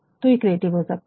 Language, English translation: Hindi, So, that it can be creative